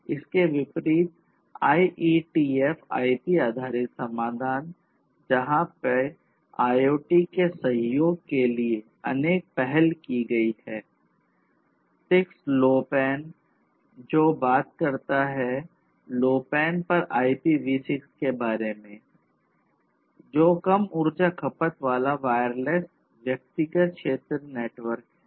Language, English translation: Hindi, On the contrary, we have IETF IP based solutions; where there are different different initiatives to support IoT like; the 6LoWPAN; which talks about IPv6 over LoWPAN which is low power wireless personal area network